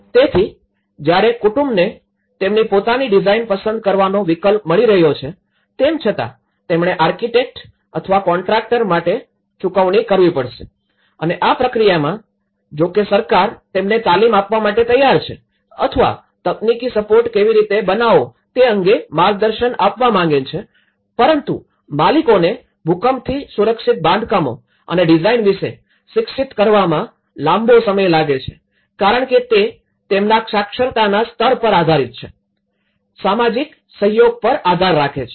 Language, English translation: Gujarati, So, even though the family is getting an option to choose their own design but he has to pay for the architect or the contractor and here, in this process, though the government is ready to give them a training or provide guidance on how to build a technical support, so but it takes a long time to educate the owners about earthquake safe constructions and design because it depends on their literacy levels, depends on the social and cooperation, how they come in negotiation